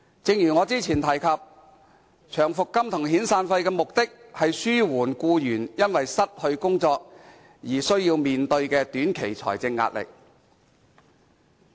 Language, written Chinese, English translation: Cantonese, 正如我較早前說過，長期服務金和遣散費的目的是紓緩僱員因失去工作而須面對的短期財政壓力。, As I said earlier on both long service and severance payments seek to alleviate the short - term financial hardships of employees due to the loss of their job